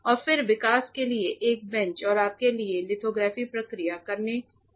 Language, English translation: Hindi, And then a bench for development which can be the same bench and this much is required for you to do the lithography process